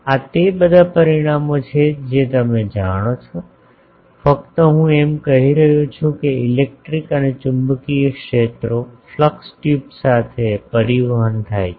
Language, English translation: Gujarati, These are all these results you know; just I am saying it that the electric and magnetic fields are transported along the flux tubes